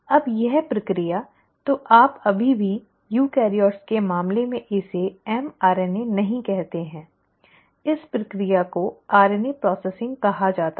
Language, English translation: Hindi, Now this process; so you still do not call this as an mRNA in case of eukaryotes; this process is called as RNA processing